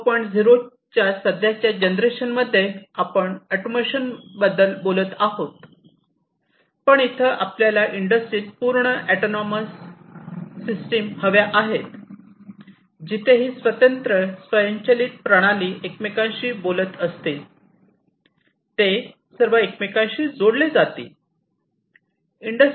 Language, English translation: Marathi, 0, we are talking about the same automation, but here we want to have complete autonomous systems in the industry, where this individual, separate, automated systems will also be talking to each other, they will be all interconnected